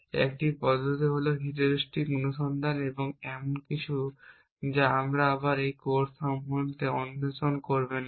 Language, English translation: Bengali, One approach is heuristic search and that is something you will again not explore in this course